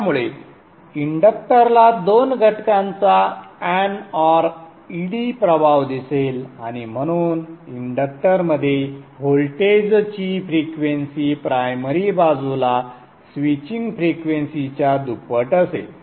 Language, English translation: Marathi, So the inductor will see an odd effect of the two components and therefore the frequency of the voltage across the inductor will be double the switching frequency on the primary side